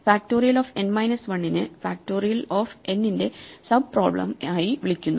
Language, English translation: Malayalam, So, we call factorial of n minus 1 as sub problem of factorial n